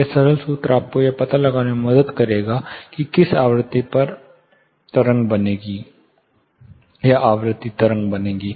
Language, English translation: Hindi, Simple formula would help you find out whether two things can be found out at which frequency standing wave will form